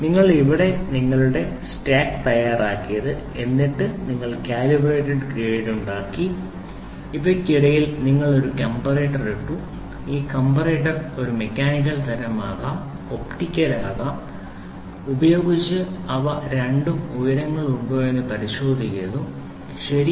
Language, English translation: Malayalam, So, what is that is you have made your stack ready here, then you have made the calibrated grade and here between these you put a comparator and these comparator can be a mechanical, can be light anything can using comparator they check whether both the heights are, ok